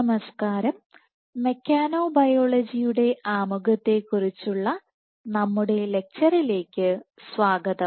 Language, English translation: Malayalam, Hello and welcome to our lecture on Introduction to Mechanobiology